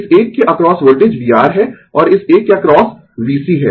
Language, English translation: Hindi, Voltage across this one is v R, and voltage across this one is V C right